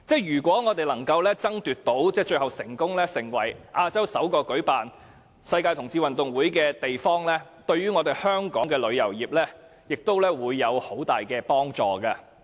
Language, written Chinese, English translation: Cantonese, 如果我們最後能成為亞洲首個舉辦世界同志運動會的地方，對香港的旅遊業將有很大的幫助。, If Hong Kong can become the first Asian city that hosts the Gay Games it will be a great boost to our tourism industry